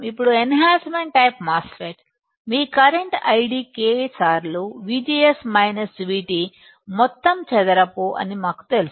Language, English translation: Telugu, So, now, we know that enhancement type MOSFET, your current id is K times V G S minus V T whole square